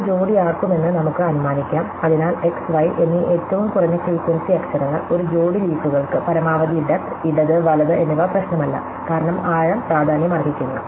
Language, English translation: Malayalam, So, let us assume that these will be paired out, so we will assign these lowest frequency letters x and y, to a pair of leaves maximum depth, left and right does not matter, because so the depth that matters